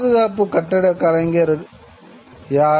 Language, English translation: Tamil, Now conservation, who are conservation architects